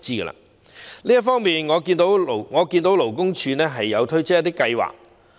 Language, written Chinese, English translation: Cantonese, 就這方面，我留意到勞工處推出一些計劃。, In this regard I have noted that the Labour Department LD has introduced some programmes